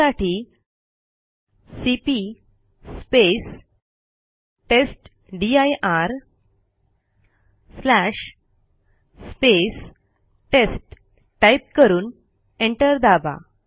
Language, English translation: Marathi, For that we would type cp space testdir slash test and press enter